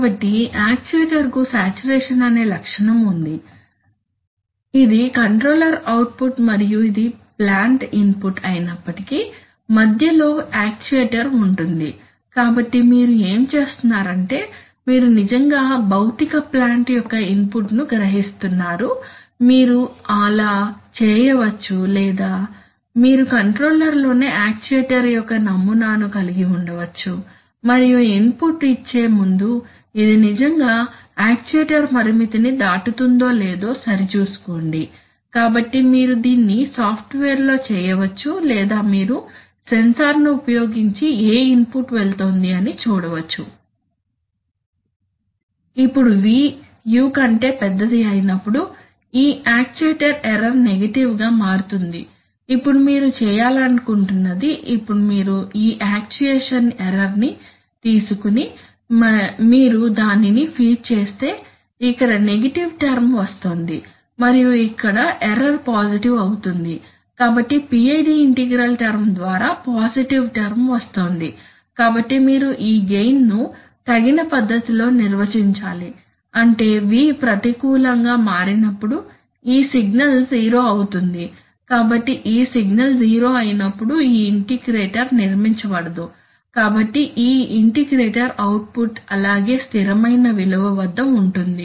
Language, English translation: Telugu, So the actuator has a saturation characteristic, so even if this is the controller output and this is the plant input, in between sits the actuator, so what you are doing is you are actually sensing the physical plant input, you could either do that or you could have an model of the actuator in the controller itself and check before giving the input, check whether this is really going to cross the actuator limit, so you can either do it in software or you can use a sensor to again see what input is going, now when v becomes larger than u, then your sub, and then this actuation error becomes negative, now what you want to do is now you take this actuation error and you feed it, so here a negative term is coming and here error is positive, so through the PID integral term a positive term is coming, so you have to define this gain in a suitable manner such that whenever v, this becomes negative, this signal becomes zero this signal becomes zero, so when this signal becomes zero this integrator does not build up so this integrator output remains at constant value